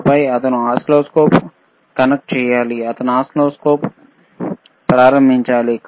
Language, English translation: Telugu, And then, he has to connect the oscilloscope, he has to start the oscilloscope